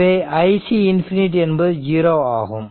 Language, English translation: Tamil, So, i c 0 plus is minus 0